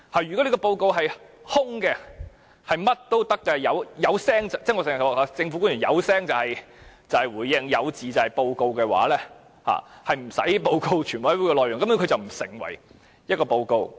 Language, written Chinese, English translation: Cantonese, 如果這份報告是"空"的，"發聲"便可以——我經常說，政府官員只要"發聲"便是回應，有字便成報告——根本無須報告全委會的討論內容。, If the report is empty meaning utterances taken as a report―I often say public officers only utter to respond and write to report―then there is absolutely no need to report the discussions of the committee of the whole Council